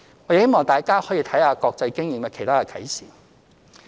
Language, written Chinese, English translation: Cantonese, 我希望大家看看國際經驗的其他啟示。, I hope that Members can take a look at the other lessons learned from international experience